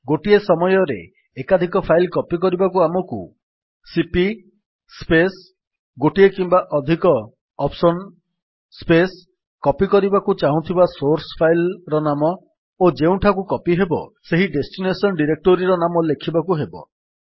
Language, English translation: Odia, To copy multiple files at the same time, We write cp space one or more of the [OPTIONS]...the name of the SOURCE files that we want to copy and the name of the destination DIRECTORY in which these files would be copied